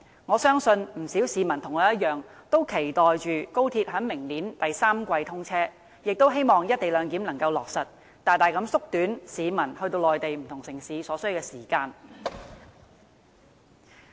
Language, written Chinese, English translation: Cantonese, 我相信不少市民跟我一樣，期待高鐵明年第三季通車，也希望能夠落實"一地兩檢"，大大縮短前往內地不同城市所需要的時間。, I trust many members of the public share my wish to see the commissioning of XRL in the third quarter of next year and hope that the co - location arrangement can be implemented to significantly shorten the time required when travelling to different Mainland cities